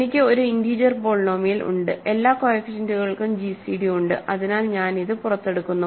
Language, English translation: Malayalam, So, I have an integer polynomial all the coefficients have gcd is, so I pull it out